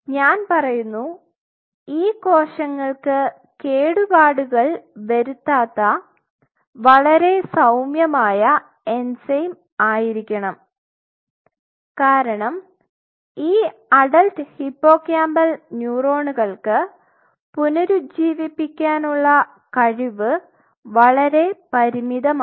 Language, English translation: Malayalam, So, the enzyme has to be I would say it has to be mild enough not to damage these cells, because the regenerating potential these adult hippocampal neuron regenerating potential is very, very limited ability to regenerate ok